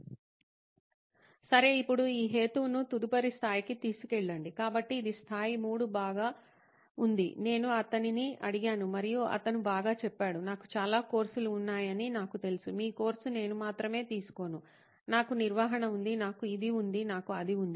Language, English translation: Telugu, Okay, now to take this rationale the next level, so this is the level 3 where well, I asked him and he said well, I know I have lots of courses, your course is not the only one I take, I have management, I have this, I have that